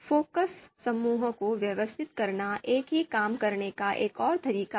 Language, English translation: Hindi, Organizing focus groups, this is another way to do the same thing